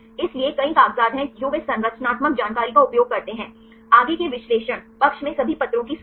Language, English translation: Hindi, So, there are several papers they use the structural information right further analysis, the listed of all the papers in the side